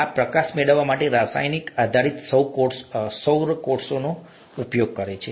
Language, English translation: Gujarati, This uses, chemical based solar cells to capture light